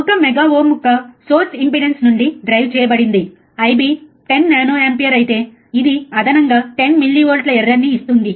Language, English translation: Telugu, Driven from a source impedance of one mega ohm, if I B is 10 nanoampere, it will introduce an additional 10 millivolts of error